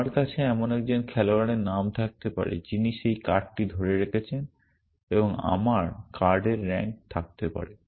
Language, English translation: Bengali, I might have the name of a player who is holding that card and I might have rank of the